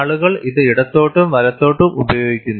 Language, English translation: Malayalam, People use it left and right